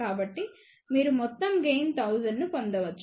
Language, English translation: Telugu, So, that you can get overall gain of 1000